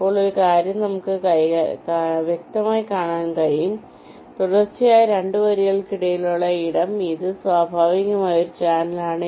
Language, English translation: Malayalam, now, one thing: we can obviously see that the space that is there in between two consecutive rows this is naturally a channel